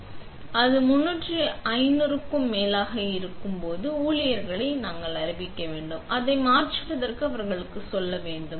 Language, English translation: Tamil, So, when it is over 3500 we would notify staff and tell them to change it